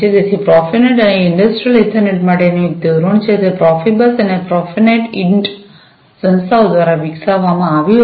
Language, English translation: Gujarati, So, profinet is a standard for Industrial Ethernet, it was developed by the Profibus and Profinet Int organizations